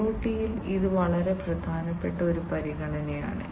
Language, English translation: Malayalam, And this is a very important consideration in IoT